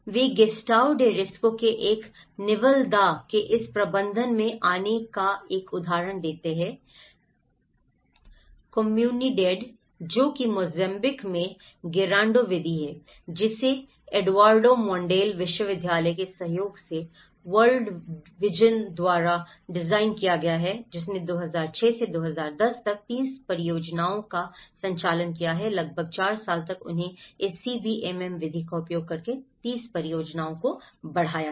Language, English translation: Hindi, He gives an example of coming to this management of Gestao de Risco a Nivel da Comunidade, so which is Gerando method in Mozambique which has been designed by World Vision in collaboration with Eduardo Mondale University which has piloted over 30 projects from 2006 to 2010 about 4 years they have scaled up to 30 projects using this CBDRM method